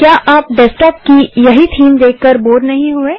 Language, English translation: Hindi, Arent you bored to see the same theme of desktop